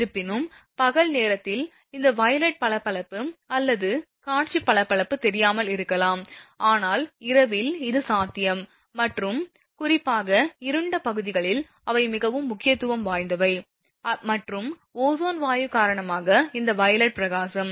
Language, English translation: Tamil, Although, daytime that violet glow or visual glow may not be visible because daytime, but night time, it is possible and particularly in the dark areas those will be very prominent and this violet glow due to the ozone gas